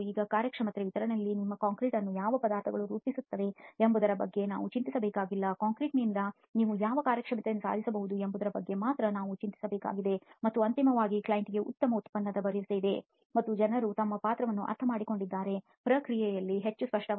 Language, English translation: Kannada, Now in a performance specification we do not have to worry about what ingredients make up our concrete, we only have to worry about what performance we can actually achieve from the concrete and essentially, ultimately the client is assured of a good final product and people understand their roles in the process much more clearly